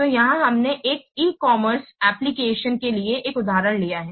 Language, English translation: Hindi, So here we have taken this example for an e commerce application